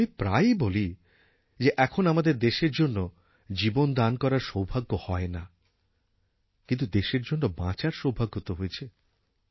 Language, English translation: Bengali, Like I said we may not get a chance to die for our Nation, but we can be fortunate to live for the country